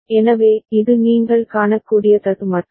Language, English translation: Tamil, So, this is the glitch that you can see